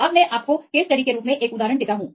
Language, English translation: Hindi, Now, I give you one example right as a case study